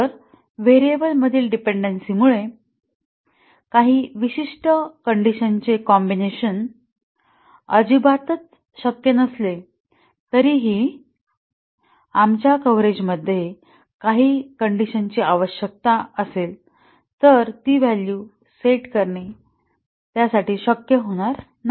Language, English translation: Marathi, So, due to dependency among variables certain combinations of conditions may not be possible at all even though our coverage might require some condition values to be set may not be possible to set those values